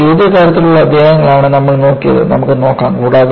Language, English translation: Malayalam, So, we had looked at the kind of chapters that, we will look at